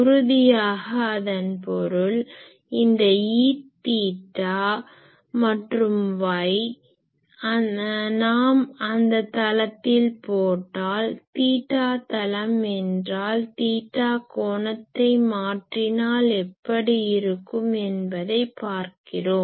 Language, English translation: Tamil, So; obviously these; that means, this E theta and this y if we in that plane if we put, theta plane means you see that how it will be look like if I vary the angle theta